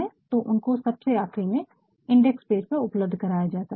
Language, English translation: Hindi, So, that also can be provided towards the end in the index page